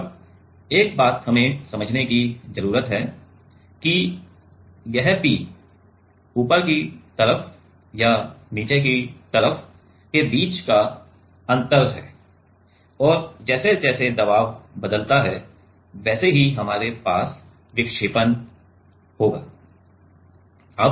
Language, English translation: Hindi, Now, one thing we need to understand is this P is the difference between the top side and the bottom side and as the as the pressure changes, accordingly we will have the deflection